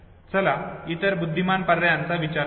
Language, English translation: Marathi, Let us think of the other intelligent options